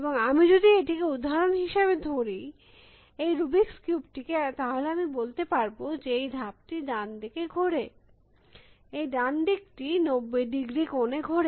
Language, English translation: Bengali, And so, if I take this for example, rubrics cube again, I can say make this move rotate right, this right face by 90 degrees